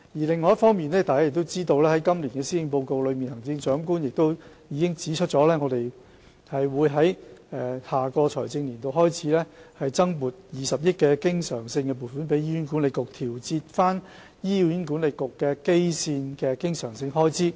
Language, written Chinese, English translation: Cantonese, 另一方面，大家也知道，在今年的施政報告中，行政長官已指出自下一個財政年度開始，會向醫管局增撥20億元的經常性撥款，以調節醫管局的基線經常性開支。, On the other hand as Members also know in the Policy Address this year the Chief Executive pointed out that the recurrent subvention for HA will be increased by 2 billion from the next financial year onwards as a measure to adjust the baseline recurrent expenditures of HA